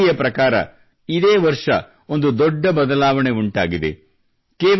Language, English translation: Kannada, According to a report, a big change has come this year